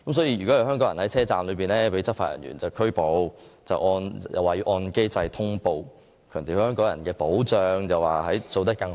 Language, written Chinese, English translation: Cantonese, 如有香港人在站內被內地執法人員拘捕，會按既定機制作出通報，當局並強調在對香港人的保障方面，會盡可能做得更好。, If any Hong Kong resident is arrested by Mainland law enforcement personnel in the West Kowloon Station a notification will be issued under the established mechanism . The Government stresses that it will do its best to provide better protection to Hong Kong people